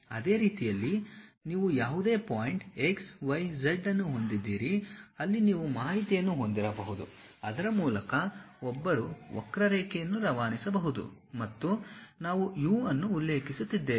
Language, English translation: Kannada, In the same way you have any point x, y, z where you have information maybe one can pass a curve through that and that parametric variation what we are saying referring to u